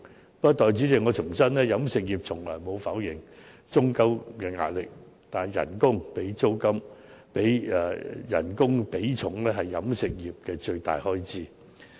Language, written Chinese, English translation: Cantonese, 不過，代理主席，我重申飲食業從來沒有否認租金的壓力，但工資的比重是飲食業的最大開支。, Nonetheless Deputy President I have to reiterate that the catering industry has never denied the pressure brought about by rentals but wages remain the largest cost item insofar as the catering industry is concerned